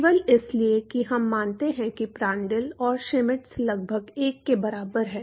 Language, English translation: Hindi, Simply because we assume Prandtl and Schmidt is almost equal to 1